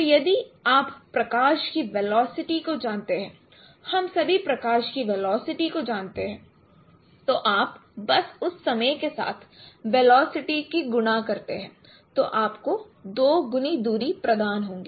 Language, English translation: Hindi, So if you know the velocity of light, we know all, we all of you know the velocity of light, then simply you multiply with that time that would give you the twice of the distances